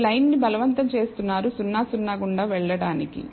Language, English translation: Telugu, You are forcing the line to pass through 0 0